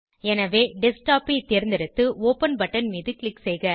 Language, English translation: Tamil, So, select Desktop and click on the Open button